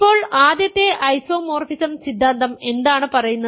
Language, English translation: Malayalam, Now, what does the First isomorphism theorem say